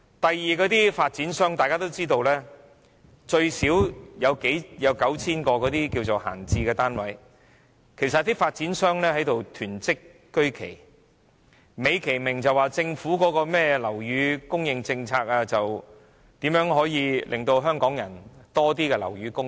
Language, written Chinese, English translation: Cantonese, 第二，眾所周知，發展商最少有 9,000 個閒置單位，他們其實是在囤積居奇，卻美其名說是政府的樓宇供應政策，旨在增加香港樓宇供應。, Secondly as known to all developers have at least 9 000 vacant flats hoarding for the purpose of profiteering . They claimed that they have acted in line with the Governments housing policy to boost housing supply